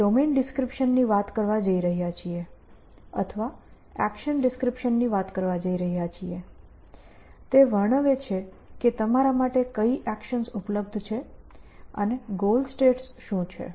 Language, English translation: Gujarati, We are going to talk of domain description, action let me use the word specification or action description, describing what actions are available to you and of course goal states